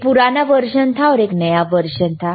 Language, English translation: Hindi, right oOne was old version, one was new version